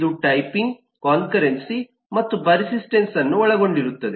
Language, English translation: Kannada, this will include typing, concurrency and persistence